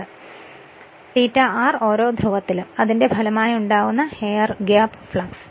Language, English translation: Malayalam, The why you do transfer this thing and phi r resultant air gap flux per pole right